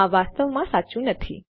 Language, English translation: Gujarati, This isnt actually right